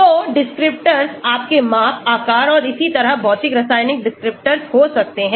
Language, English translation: Hindi, So, the descriptors could be physic chemical descriptors like your shape, size and so on